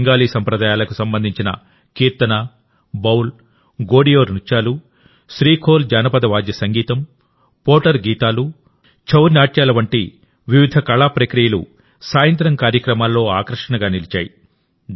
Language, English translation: Telugu, Various genres related to Bengali traditions such as Kirtan, Baul, Godiyo Nritto, SreeKhol, Poter Gaan, ChouNach, became the center of attraction in the evening programmes